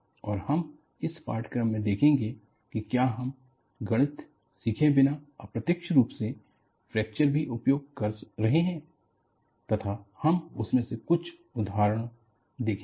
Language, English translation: Hindi, And, we will see in this course, whether fracture also we have been using it, indirectly without learning the Mathematics; we would see some of those examples